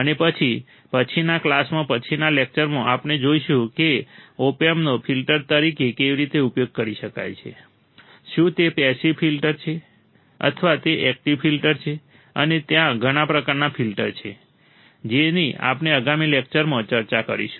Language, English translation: Gujarati, And then in the next class, in the next lecture, we will see how the opamp can be used as a filter, whether it is a passive filter,or it is an active filter and there are several type of filter that we will be discussing in the next lecture